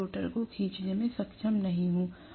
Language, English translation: Hindi, I am not going to be able to pull the rotor right